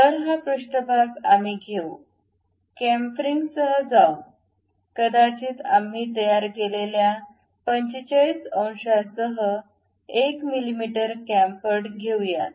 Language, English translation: Marathi, So, this surface we will take it, go with the chamfering, maybe 1 mm chamfer with 45 degrees we make